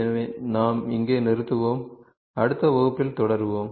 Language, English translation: Tamil, So, we would stop here we will continue in the next class